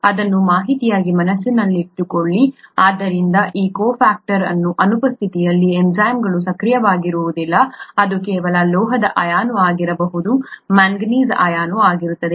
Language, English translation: Kannada, Just have this in mind as information, so the enzymes may not be active in the absence of these cofactors which could just be a metal ion